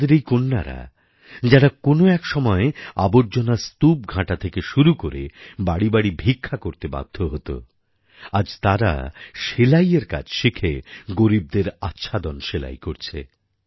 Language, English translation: Bengali, Our daughters, who were forced to sift through garbage and beg from home to home in order to earn a living today they are learning sewing and stitching clothes to cover the impoverished